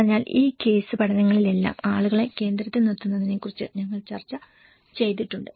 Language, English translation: Malayalam, So, in all these case studies we have discussed about putting people in the centre